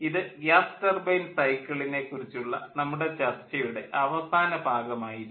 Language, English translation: Malayalam, so with this i like to thank you all and this is the end of our discussion on the gas turbine cycle